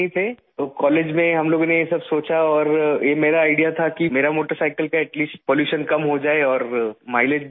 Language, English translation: Urdu, And in college we thought about all of this and it was my idea that I should at least reduce the pollution of my motorcycle and increase the mileage